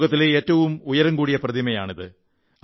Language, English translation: Malayalam, It is the tallest statue in the world